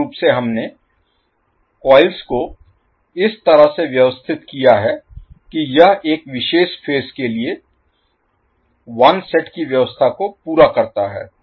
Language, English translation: Hindi, So, basically we arranged the coils in such a way that it completes 1 set of arrangement for 1 particular phase